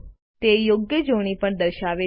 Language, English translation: Gujarati, It also displays the correct spelling